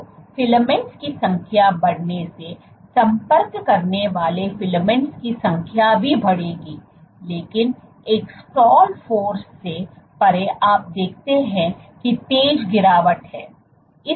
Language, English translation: Hindi, So, increasing the number of filaments will lead to increase in the number of you know number of contacting filaments also, but beyond a stall force you see there is a sharp drop